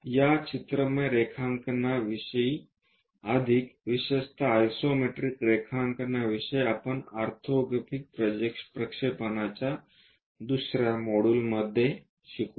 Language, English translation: Marathi, More about this pictorial drawings, especially the isometric drawings we will learn in orthographic projections second module